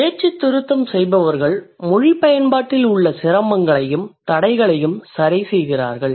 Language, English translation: Tamil, So the speech correctionist, they address the difficulties and impediments in language use